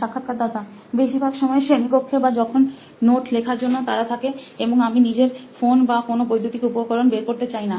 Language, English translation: Bengali, Usually in class or if I am in a hurry to just write some notes and I do not want to take my phone or the any electronic device